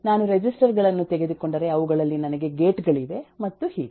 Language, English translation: Kannada, if I take registers, I have gates in them, and so on